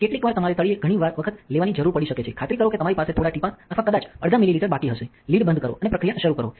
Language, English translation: Gujarati, Sometimes you may need to take several times in the bottom, make sure that you have a couple of drops or maybe even half a millilitre left, close the lid and start the process